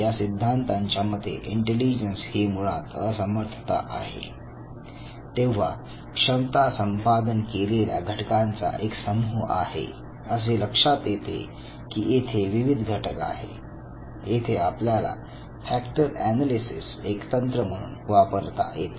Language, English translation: Marathi, Now these theories basically accept that intelligence is inability or it is perhaps collection of abilities group of abilities and it has one or it could have more than one factors, and how do you derive these factors again it is the factor analysis as a technique